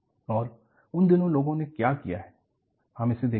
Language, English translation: Hindi, And, what people have done in those days, we will look at it